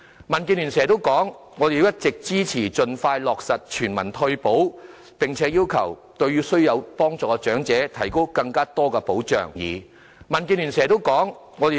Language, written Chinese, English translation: Cantonese, 民建聯一直支持盡快落實全民退休保障，並要求對需要幫助的長者提供更多保障。, DAB has all along supported the proposal to expeditiously introduce universal retirement protection and has requested the provision of more protection to the needy elderly persons